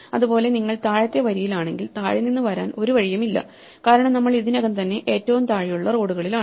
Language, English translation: Malayalam, Similarly if you are on the bottom row there is no way to come from below because we are already on the lowest set of roads